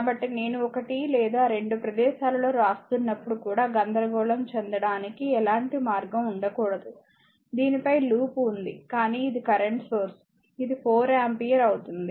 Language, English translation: Telugu, So, there should not be any path for confusion or anything even when I am writing also one or two places I am over looping your, what you call over loop looking on this, but this is current source it will be 4 ampere